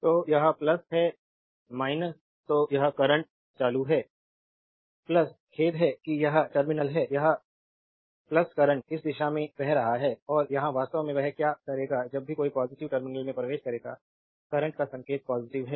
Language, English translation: Hindi, So, current is this current is plus sorry this terminal is plus current is flowing from this direction and here actually what we will do that, whenever a current your entering the positive terminal; you will take the sign of current is positive